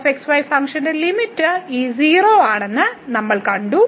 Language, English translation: Malayalam, So, what we have seen that this 0 is the limit of this function